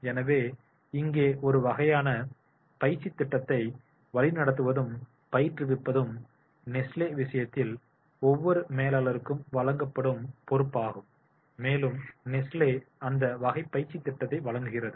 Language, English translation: Tamil, So, here the guiding and coaching is the sort of the training program, which is the responsibility has been given to the each manager in case of the Nesley and Nesley provides that type of the training program